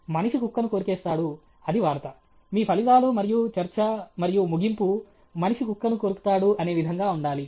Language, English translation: Telugu, Man bites dog; that is news; how your results and discussion and conclusion will be man bites dog